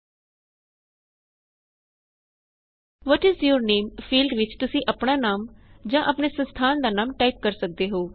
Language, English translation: Punjabi, In the What is your name field, you can type your name or your organisations name